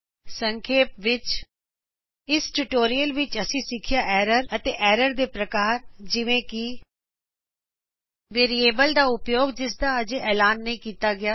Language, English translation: Punjabi, In this tutorial we have learnt, errors and types of errors such as Use of variable that has not been declared